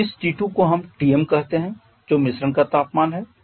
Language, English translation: Hindi, So this T2 let us called this Tm which is a mixture temperature